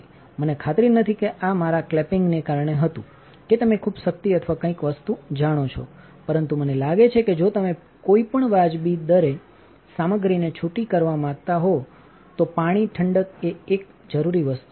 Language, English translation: Gujarati, I am not sure if this was due to my clamping or you know too much power or something, but I think water cooling is kind of a necessary thing if you want to sputter stuff at any reasonable rate ok